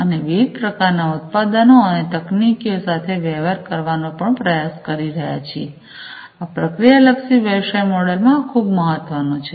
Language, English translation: Gujarati, And also trying to deal with different types of, you know, various types of products and technologies, this is very important in the process oriented business model